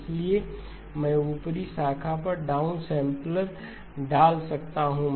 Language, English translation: Hindi, So I can insert a down sampler on the upper branch